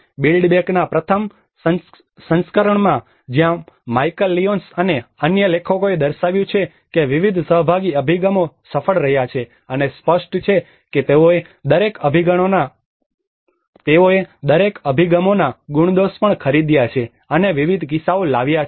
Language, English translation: Gujarati, In the first version of build back better where Michael Lyons and other authors have demonstrated the various participatory approaches have been successful and obviously they also bought the pros and cons of each approaches and bringing various case examples